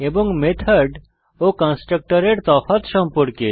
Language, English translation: Bengali, And Differences between method and constructor